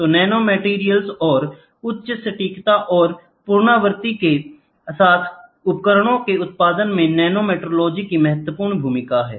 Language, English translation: Hindi, So, nanometrology has a crucial role in the production of nanomaterials and devices with a high degree of accuracy and repeatability